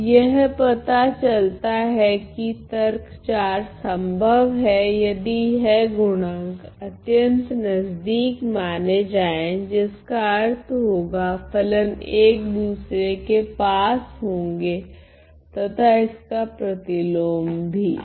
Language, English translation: Hindi, Now the it turns out that this argument 4 is possible if these coefficient suppose the coefficients are close implying the functions are close to each other and vice versa ok